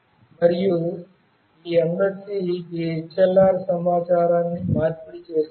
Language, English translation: Telugu, And this MSC exchange information with this HLR